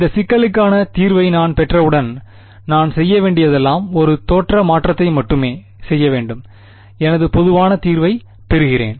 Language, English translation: Tamil, Once I get the solution to this problem, all I have to do is do a change shift of origin and I get my general solution ok